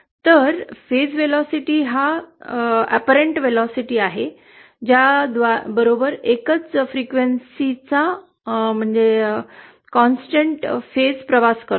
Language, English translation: Marathi, Whereas phase velocity is the apparent velocity with which the constant phase of a single frequency travels